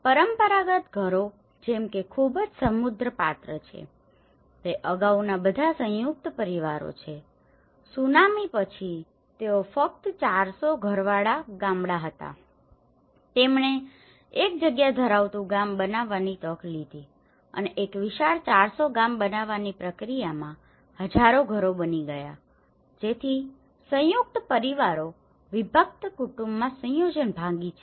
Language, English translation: Gujarati, Like the traditional houses which has a very rich character this is all joint families earlier, it was only a four hundred households village after the tsunami they taken the opportunity to make a spacious village and in the process of making a spacious village 400 have become thousand houses so which means joint families have broken into the nuclear family setups